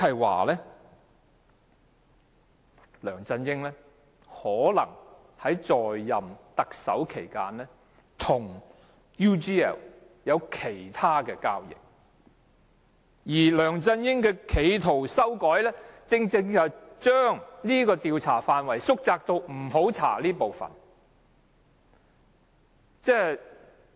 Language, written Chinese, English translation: Cantonese, 換言之，梁振英在擔任特首期間，可能與 UGL 還有其他交易，而梁振英企圖修改調查範圍，正正是要把範圍縮窄至不會調查那些部分。, In other words when LEUNG Chun - ying is acting as Chief Executive he might have some other dealings with UGL too . LEUNG Chun - ying tried to amend and narrow the scope of inquiry so that these areas would not be covered